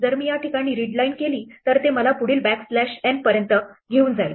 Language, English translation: Marathi, If I do a readline at this point it will take me up to the next backslash n